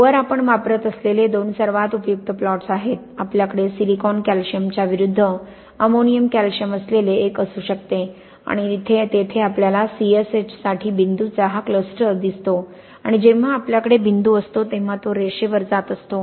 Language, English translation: Marathi, So, these are the two most useful kind of plots we use, we can have this one where we have an ammonium calcium against silicon calcium and here, we see this cluster of points for the C S H here and when we have point is going on this line, this will be mixtures with calcium hydroxide